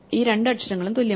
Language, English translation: Malayalam, So, these two letters are the same